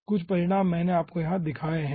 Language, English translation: Hindi, okay, ah, some results i have shown you over here